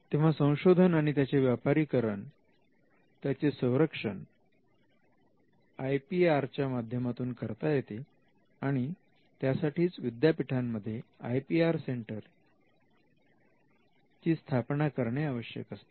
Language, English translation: Marathi, So, between research and commercialization you can envisage protection by way of IPR and for that to happen the university will have to have an IP centre or an IPR centre